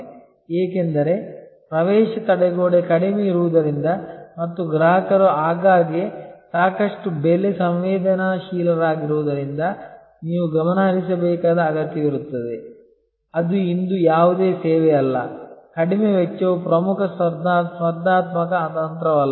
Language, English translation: Kannada, Because, as the entry barrier is low and customers are often quite price sensitive therefore, you need to stay focused that is hardly any service today, where low cost is not an important competitive strategy